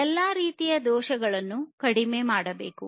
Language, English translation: Kannada, And defects of all kinds should be reduced